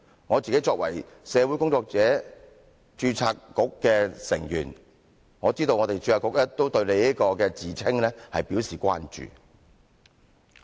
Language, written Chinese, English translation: Cantonese, 我作為社會工作者註冊局成員，我知道註冊局對你這個自稱表示關注。, As a member of the Social Workers Registration Board I knew that the Board expressed concern on you claim